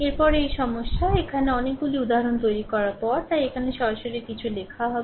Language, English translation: Bengali, Next is this problem here after making so, many examples, so, here directly you will write something right